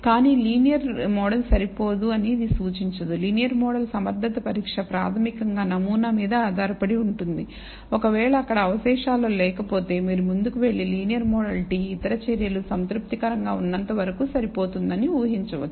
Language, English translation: Telugu, But linear this does not indicate a linear model is not adequate, the linear model adequacy test is basically based on the pattern if there is no pattern in the residuals you can go ahead and assume that the linear model t is adequate as long as the other measures are also satisfactory